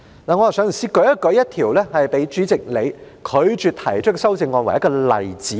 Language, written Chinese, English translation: Cantonese, 讓我以一項被主席你拒絕我提出的修正案作為例子。, Let me take an amendment which I proposed and was rejected by you as an example